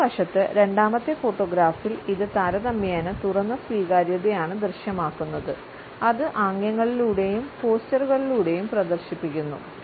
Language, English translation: Malayalam, On the other hand, in the second photograph it is relatively an open acceptance of the other which is displayed through the gestures and postures